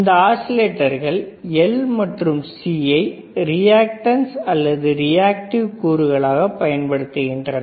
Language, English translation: Tamil, So, these are the oscillator that are using L and C as reactances or reactive components these are reactive components